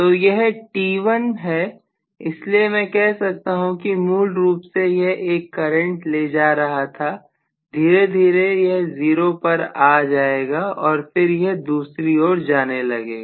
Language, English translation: Hindi, So this is instant t1 so I may say that originally it was carrying a current of I, slowly it will come down to 0 and then it has to go the other way around